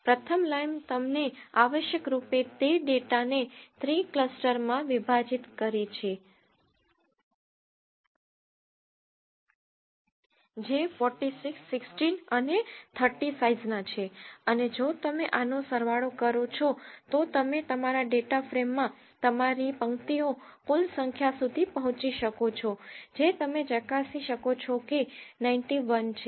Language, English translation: Gujarati, The first line essentially gives you it has clustered the data into three clusters which are of sizes 46, 15 and 30 and if you sum this up you will end up with your total number of rows in your data frame that is 91